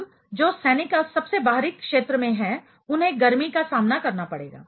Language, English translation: Hindi, Now, the soldiers which are at the outermost zone will be facing in the heat